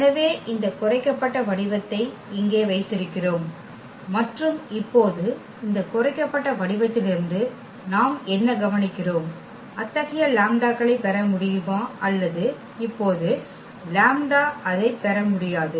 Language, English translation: Tamil, So, we have this reduced form here and now what we will observe out of this reduced form whether we can get such lambdas or we cannot get such lambdas now